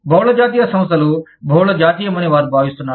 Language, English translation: Telugu, They feel that, the multi national companies, are multi national